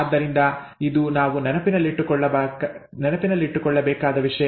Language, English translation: Kannada, So that is something that we need to keep in mind